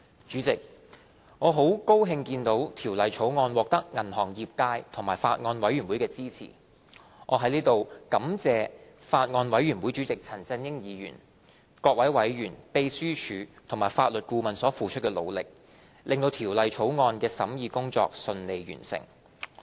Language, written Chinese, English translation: Cantonese, 主席，我很高興見到《條例草案》獲得銀行業界和法案委員會的支持，我在此感謝法案委員會主席陳振英議員、各位委員、秘書處和法律顧問所付出的努力，令《條例草案》的審議工作順利完成。, President I am pleased to see that the Bill has the support of the banking sector and the Bills Committee . I would like to thank Mr CHAN Chun - ying Chairman of the Bills Committee members the Secretariat and the Legal Adviser for their efforts contributing to the successful completion of the scrutiny of the Bill